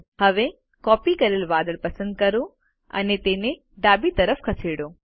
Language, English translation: Gujarati, Now, select the copied cloud and move it to the left